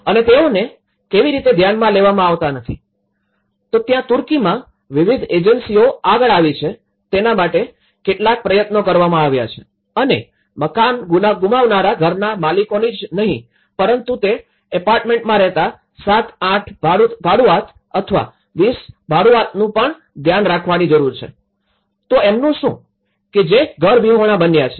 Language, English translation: Gujarati, And how they are not to be considered, so that is where in Turkey, there have been some efforts why various agencies have come forward that yes, we also need to take care of these not only the house owners who lost the house but what about 7, 8 tenants or 20 tenants who are living in that apartment, so what about them, who becomes homeless